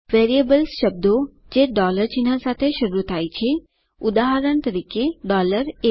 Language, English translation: Gujarati, Variables are words that start with $ sign, for example $a